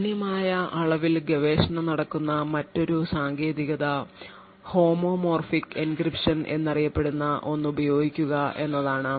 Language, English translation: Malayalam, Another technique where there is a considerable amount of research going on is to use something known as Homomorphic Encryption